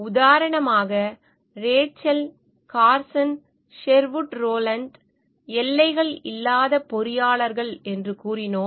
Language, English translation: Tamil, As example, we said Rachel Carson, Sherwood Rowland an engineers without borders